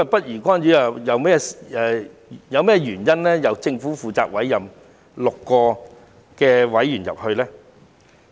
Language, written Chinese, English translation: Cantonese, 如果政府是不宜干預的話，為何政府要委任6名成員加入註冊局呢？, If it is not appropriate for the Government to intervene why does the Government have to appoint six members to sit on the Board?